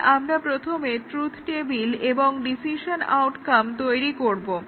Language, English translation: Bengali, So, we first develop the truth table and the decision outcome